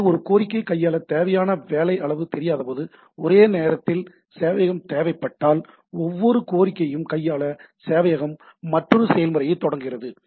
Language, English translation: Tamil, So, if the concurrent server is required when the amount of work required to handle a request is not known, right, the server starts another process to handle each request, right